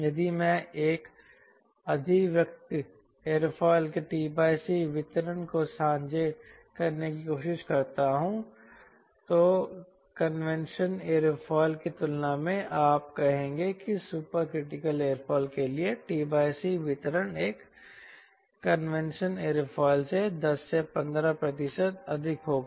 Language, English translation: Hindi, if i try to share t by c distribution of a supercritical aerofoil as compared to the convention aerofoil, you say t by c distribution for super critical aerofoil will be ten to fifteen percent more than a convention aerofoil